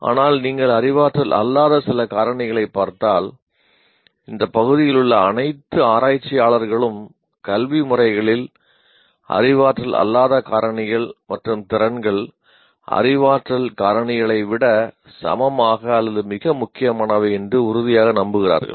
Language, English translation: Tamil, But if you look at some non cognitive factors, it has been fairly all the researchers in this area firmly believe that non cognitive factors and skills are equally or even more important than cognitive aspects in educative processes